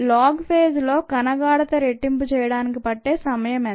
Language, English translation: Telugu, what is the time needed for the cell concentration to double in the log phase